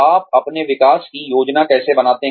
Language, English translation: Hindi, How do you plan your exit